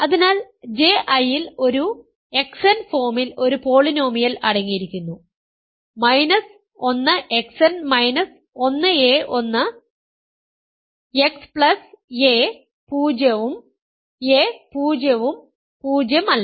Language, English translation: Malayalam, So, J I claim contains a polynomial of the form an X n, an minus 1 X n minus 1 a1 X plus a 0 and a 0 is not 0